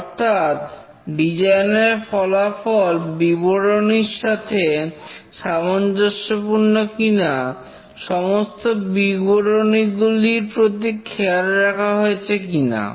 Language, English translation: Bengali, For example, if the design results are consistent with the specification, whether all specifications have been taken care properly